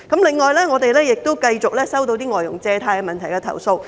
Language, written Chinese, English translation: Cantonese, 另外，我們也繼續收到一些有關外傭借貸問題的投訴。, Moreover we also keep receiving some complaints about the problem of FDHs borrowing money